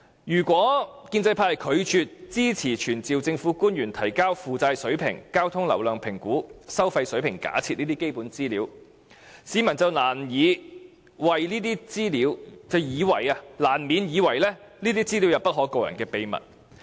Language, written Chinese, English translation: Cantonese, 如果建制派拒絕支持傳召政府官員提交負債水平、交通流量評估及收費水平假設等基本資料，便難免會令市民認為這些資料有不可告人的秘密。, If the pro - establishment camp refuses to support summoning government officials to provide such basic information as debt levels traffic flow volume assessment and the toll level assumptions the citizens will inevitably think that there are dark secrets hidden in the shadow